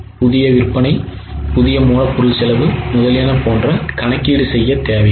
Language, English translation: Tamil, There is no need to do any other calculation like new sales, new raw material cost, etc